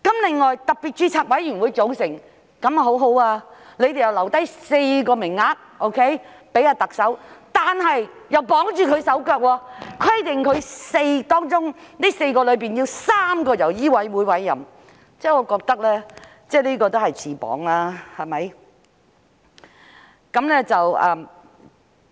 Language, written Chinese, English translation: Cantonese, 另外，特別註冊委員會的組成方法很不錯，當局留下4個名額給特首，但又綁住她手腳，規定4個名額中要有3個是由醫委會委任，我認為這也是自綁手腳的做法。, Besides the composition of the Special Registration Committee is very good in that four places have been left for the Chief Executive but the authorities have tied her hands by requiring that three out of the four places have to be appointed by MCHK . I think this is also a way of binding ones own hands